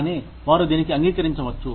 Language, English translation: Telugu, But, they may agree to it